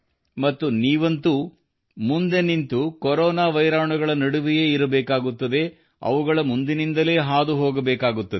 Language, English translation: Kannada, And you have to be in the midst of the corona virus by being at the forefront